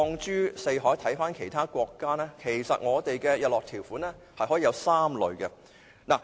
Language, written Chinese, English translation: Cantonese, 如果看看其他國家的做法，其實我們的日落條款可以有3類。, If we take a look at the practice of other countries we will find that our sunset clauses can be divided into three types